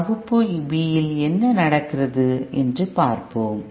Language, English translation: Tamil, Let us see what happens in Class B